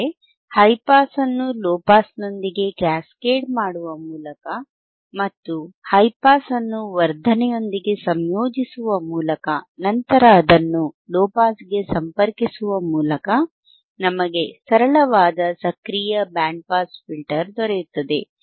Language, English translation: Kannada, That means that, now by cascading the high pass with low pass ends and integrating high pass with amplification, and then connecting it to low pass, this will give us the this will give us a high a simple active band pass filter, alright